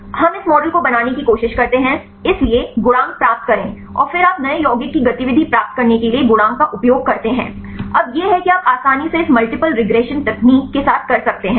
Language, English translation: Hindi, We try to build this model; so, get the coefficients and then you use the coefficients to get the activity of a new compound; now that is you can easily do with this a multiple regression technique